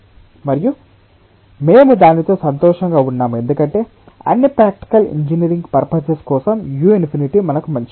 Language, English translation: Telugu, and we are happy with that because for all practical engineering purposes that is as good as u infinity for us